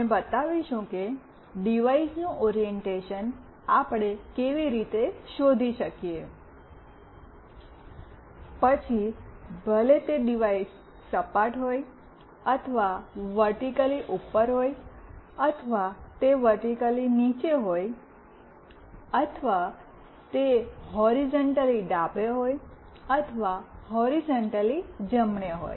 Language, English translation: Gujarati, We will be showing how we can find out the orientation of a device, whether the device is lying flat or is vertically up or it is vertically down or it is horizontally left or it is horizontally right